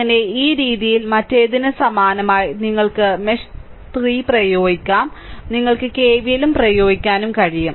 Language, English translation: Malayalam, So, if this way similarly for the other this mesh 3, you can apply mesh 3; also you can apply KVL